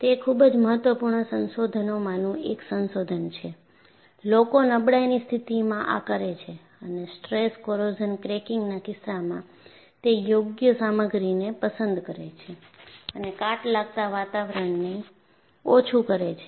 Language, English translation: Gujarati, It is one of the very important research, people do in fatigue and in the case of stress corrosion cracking, select the suitable material and minimize the corrosive environment